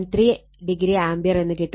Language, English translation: Malayalam, 3 degree ampere